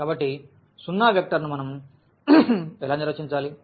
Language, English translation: Telugu, So, what how do we define the zero vector